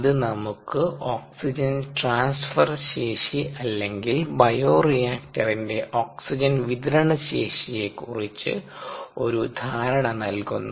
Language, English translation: Malayalam, that gives us an idea of the oxygen transfer capacity or oxygen supply capacity of the bioreactor